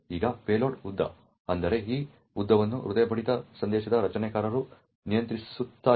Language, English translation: Kannada, Now, the payload length, that is, this length is controlled by the creator of the heartbeat message